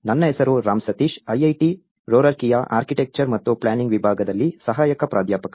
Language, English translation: Kannada, My name is Ram Sateesh, an assistant professor in Department of Architecture and Planning, IIT Roorkee